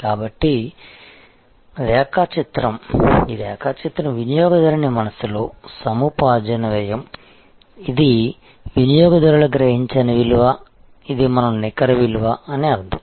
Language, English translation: Telugu, So, this is the diagram that is the cost of acquisition in the mind of the customer verses the value perceived by the customer, this is what we mean by net value